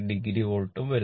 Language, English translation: Malayalam, 8 degree volt right